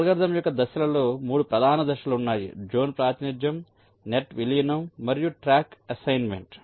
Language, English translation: Telugu, ok, so, regarding the steps of the algorithm, there are three main steps: zone representation, net merging and track assignment